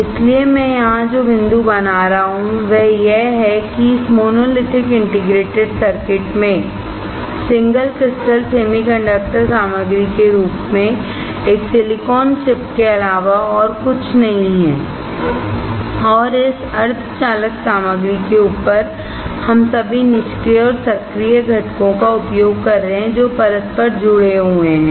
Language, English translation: Hindi, So, the point I am making here is that the single crystal in this monolithic integrated circuit is nothing but a silicon chip as a semiconductor material and on top of this semiconductor material, we are using all the passive and active components which are interconnected